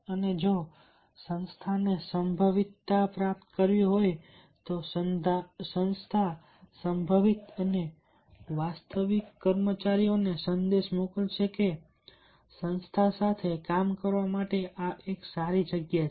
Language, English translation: Gujarati, the organization will send a message to the potential and actual employees that this is a good place to work with the organization